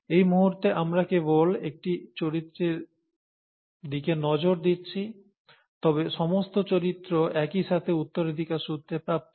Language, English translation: Bengali, Right now we are looking at only one character, but all characters are being inherited simultaneously